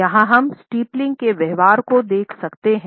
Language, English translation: Hindi, Here we can look at an analysis of the steepling behavior